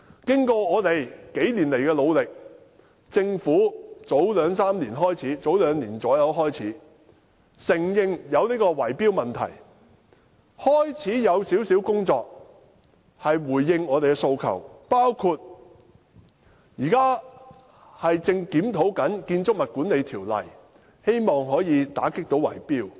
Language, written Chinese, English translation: Cantonese, 經過我們幾年來的努力，政府大約在兩年前開始承認有圍標問題，開始進行少許工作，回應我們的訴求，包括現正檢討《建築物管理條例》，希望可以打擊圍標。, After years of our efforts about two years ago the Government started to admit the existence of the bid - rigging problem and launched some work to address our demands including the present review of BMO with a view to combating bid - rigging